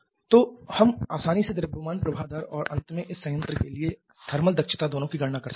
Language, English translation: Hindi, So, we can easily calculate both the mass flow rate and finally the thermal efficiency for this plant